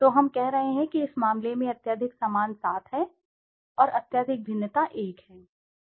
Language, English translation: Hindi, So we are saying highly similar is seven in this case and highly dissimilar is one